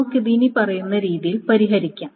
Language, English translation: Malayalam, And how can one solve this is the following manner